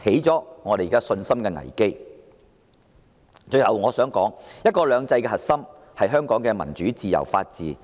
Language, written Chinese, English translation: Cantonese, 最後，我想說"一國兩制"的核心是香港的民主、自由及法治。, Lastly I wish to add that the core of one country two systems lies in Hong Kongs democracy freedom and rule of law